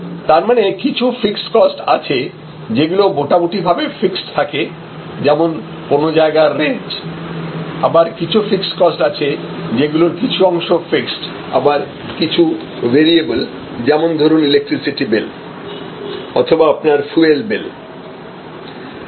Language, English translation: Bengali, So, there are therefore, some fixed cost which are quite fixed like the rental of the place, some costs are, fixed costs are somewhat fixed somewhat variable like the electricity bill or your generated fuel bill and so on